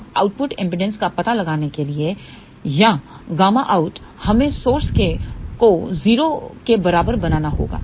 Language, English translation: Hindi, Now in order to find out the output impedance or gamma out, we must make source equal to 0